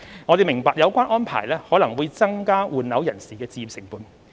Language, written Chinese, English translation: Cantonese, 政府明白有關安排可能會增加換樓人士的置業成本。, The Government acknowledges that the arrangement may increase the acquisition costs for persons replacing their residential properties